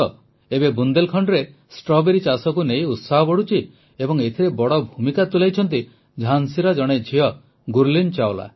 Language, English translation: Odia, Now, there is growing enthusiasm about the cultivation of Strawberry in Bundelkhand, and one of Jhansi's daughters Gurleen Chawla has played a huge role in it